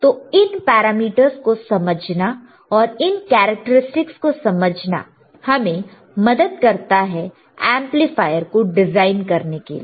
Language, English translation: Hindi, So, so, understanding this parameters and understanding this characteristic would help us to design the amplifier accordingly right